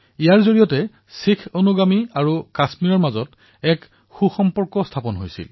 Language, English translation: Assamese, This forged a strong bond between Sikh followers and Kashmir